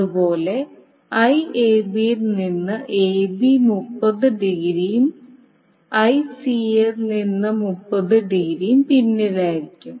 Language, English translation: Malayalam, Similarly Ib will be lagging by 30 degree from Ibc and Ic will be lagging 30 degree from Ica